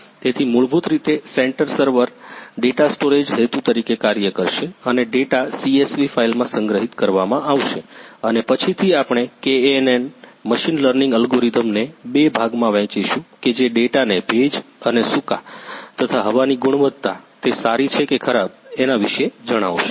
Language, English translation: Gujarati, So, basically the centre server will act as a data storage purpose and the data will be stored in a CSV file and later on we will be divide KNN machine learning algorithm which will classify the data into as rainy and sunny and it will also tell us about the air quality whether it is good or bad